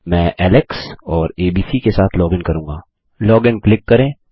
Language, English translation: Hindi, Ill login with my details as Alex and abc, click log in